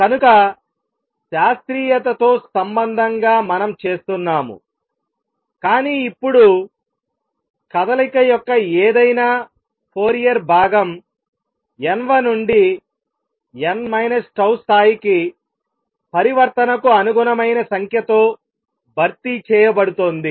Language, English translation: Telugu, So, we are making a correspondence with classical, but making changes that now any Fourier component of the motion is going to be replaced by a number corresponding to the transition from n th to n minus tau level